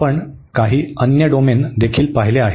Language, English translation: Marathi, We have also seen some other domain